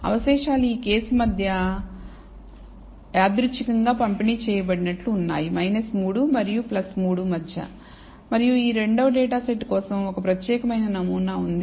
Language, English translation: Telugu, The residuals seems to be randomly distributed between this case between minus 3 and plus 3 and whereas for the second data set there is a distinct pattern